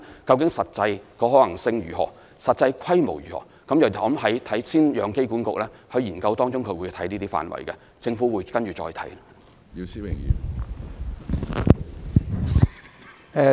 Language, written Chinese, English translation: Cantonese, 但是實際可行性及實際規模如何，機管局會在研究中探討這些範圍，之後政府會再作研究。, But as regards the actual feasibility and the pragmatic scale they will be explored in the study by AAHK and will be further studied by the Government afterwards